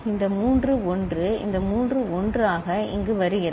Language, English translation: Tamil, These three 1 is coming here as this three 1